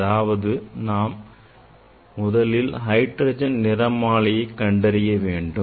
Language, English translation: Tamil, you know that the first this hydrogen spectra were observed by